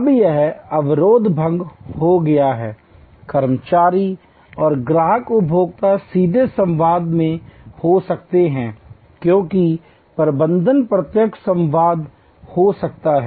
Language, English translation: Hindi, Now, this barrier is dissolved, the employees and the customer consumers can be in direct dialogue as can management being direct dialogue